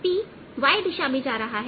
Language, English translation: Hindi, so this is p in the y direction